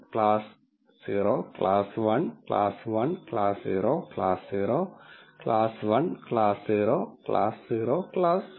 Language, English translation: Malayalam, So, you will notice that this is 0 class 0, class 1, class 1, class 0, class 0, class 1, class 0, class 0, class 0